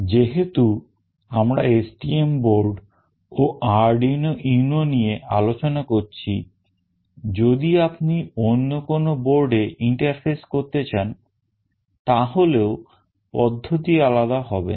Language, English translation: Bengali, As we will be only discussing about STM board and Arduino UNO, if you want to interface any other board the process will not be very different